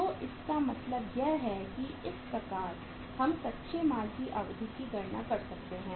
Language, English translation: Hindi, So it means this is the way we can calculate the duration of the raw material